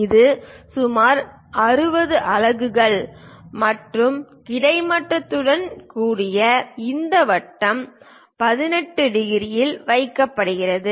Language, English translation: Tamil, It is some 60 units and this circle with horizontal is placed at 18 degrees